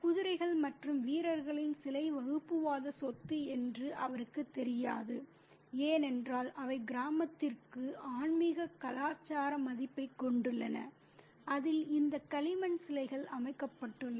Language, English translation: Tamil, You know, he doesn't know that the statue of horses and warriors are communal property because they have a spiritual, cultural, value for the village in which these clay statues are set up